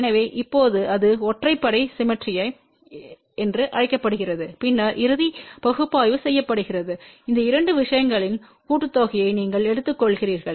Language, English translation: Tamil, So, now, that is known as odd symmetry and then the final analysis is done that you take the sum of these two things